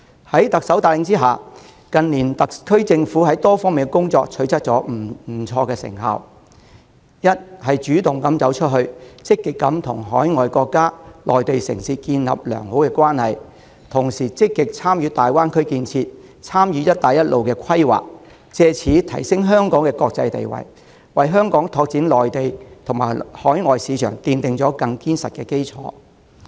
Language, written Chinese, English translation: Cantonese, 在特首帶領下，特區政府近年在多方面的工作都取得不錯的成效：一、主動走出去，積極與海外國家及內地城市建立良好關係，同時積極參與粵港澳大灣區建設，參與"一帶一路"規劃，藉此提升香港的國際地位，為香港拓展內地及海外市場奠定更堅實的基礎。, With the Chief Executive at the helm the SAR Government has achieved solid outcomes in various aspects of its work . First she has taken the initiative to go global by proactively cultivating good relations with overseas countries and Mainland cities while participating enthusiastically in the development of the Guangdong - Hong Kong - Macao Greater Bay Area and the planning of the Belt and Road Initiative with a view to raising the international status of Hong Kong and laying a sturdier foundation for Hong Kong to expand Mainland and overseas markets